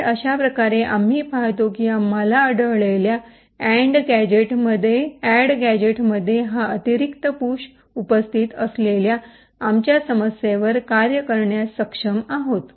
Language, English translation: Marathi, So in this way we see that we have been able to work around our issue where there is this additional push present in the add gadget that we have found